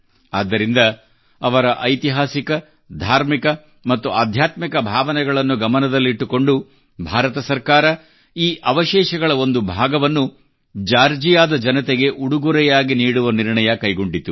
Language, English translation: Kannada, That is why keeping in mind their historical, religious and spiritual sentiments, the Government of India decided to gift a part of these relics to the people of Georgia